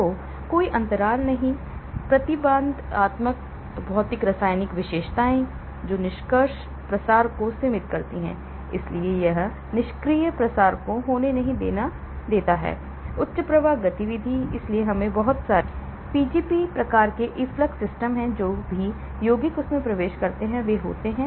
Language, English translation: Hindi, So, there are no gaps, restrictive physicochemical characteristics that limit passive diffusion, so it does not allow passive diffusion to happen, high efflux activity, so there are a lot of Pgp type efflux systems which throws whatever compounds that enter into it